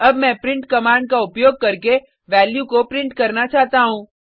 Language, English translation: Hindi, Next I want to print the value using print command